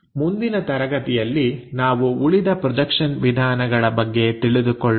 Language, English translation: Kannada, In the next class, we will learn more about other projection methods